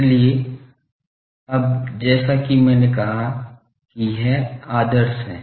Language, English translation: Hindi, So, now this is as I said that ideal